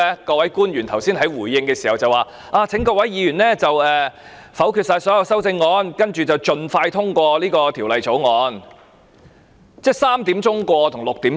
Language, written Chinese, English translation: Cantonese, 各位官員剛才在回應時請各位議員否決所有修正案，然後盡快通過條例草案。, In the earlier response of various public officers they call on Members to veto all the amendments and then have the Bill passed as soon as possible